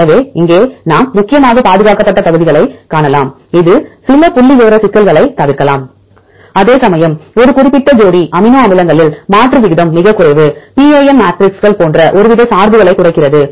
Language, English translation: Tamil, So, here we can see mainly the conserved regions, this can avoid some of the statistical problems whereas, substitution rate is very low where in a particular pair of amino acids that reduces some sort of bias like PAM matrices